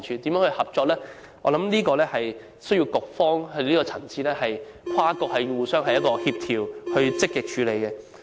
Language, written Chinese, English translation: Cantonese, 在這方面，我相信需要在局方的層次跟進，跨局互相協調，積極處理。, In this connection I think it is necessary to be followed up by the Bureau involving inter - bureau coordination and proactive follow - up actions